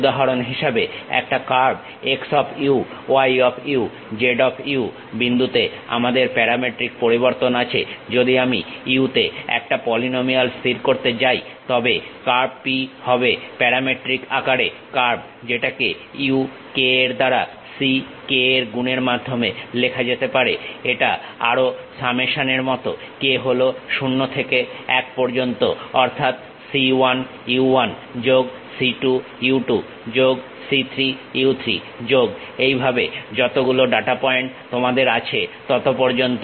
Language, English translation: Bengali, For example, a curve x of u, y of u, z of u the point we have parametric variation, if I am going to fix a polynomial in u then the curve P is the curve in parametric form can be written as c k multiplied by u k, it is more like the summation k is equal to 0 to n means c 1 u 1 plus c 2 u 2 plus c 3 u 3 plus and so on how many data points you have that much